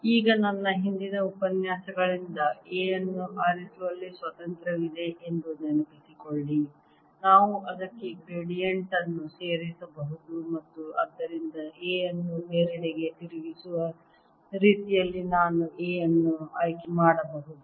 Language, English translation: Kannada, now recall from my earlier lectures that there is a freedom in choosing a, in that we can add a gradient to it and therefore i can choose in such a way that divergence of a is zero